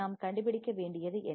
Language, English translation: Tamil, What we have to find